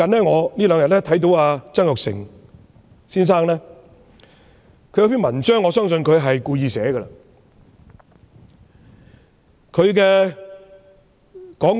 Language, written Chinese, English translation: Cantonese, 我近日看到曾鈺成先生一篇文章，我相信他是故意發表的。, Recently I have read an article by Mr Jasper TSANG . I believe that he intentionally wrote that article